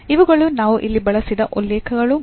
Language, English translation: Kannada, So, these are the references we have used here and